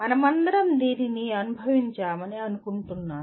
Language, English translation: Telugu, I think all of us have experienced this